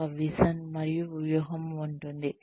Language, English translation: Telugu, There is a vision and strategy